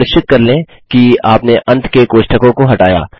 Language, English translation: Hindi, Make sure you remove the end brackets